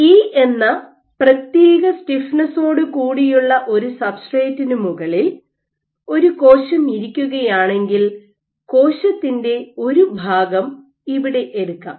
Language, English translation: Malayalam, So, if you have a cell sitting on a substrate of given stiffness E and what I can do is let us take a section of the cell here